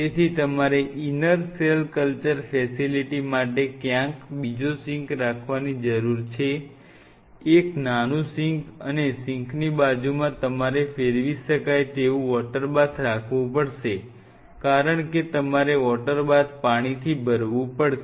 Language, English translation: Gujarati, So, you needed to curve out another sink somewhere out here in the inner cell culture facility, a small sink and adjacent to the sink you have to have a water bath because you have to fill this water bath